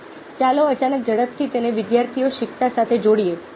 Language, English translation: Gujarati, now let's suddenly quickly make it to students learning